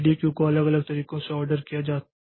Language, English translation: Hindi, The ready queue may be ordered in different ways